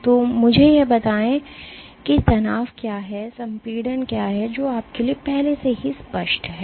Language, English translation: Hindi, So, let me draw what is tension and what is compression so is already clear to you